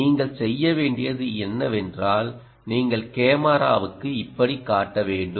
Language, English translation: Tamil, what you should do is you should show, like this, to the camera: ok, does it make sense